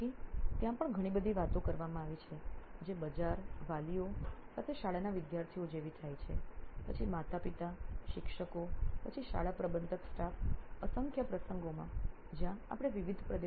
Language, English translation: Gujarati, So even there is a lot of talking that has been done with the market, parents market as in the school students, then the parents, teachers, then the school admin staff in numerous occasions where we have come with different types of insights from different regions students from different regions have different types of insights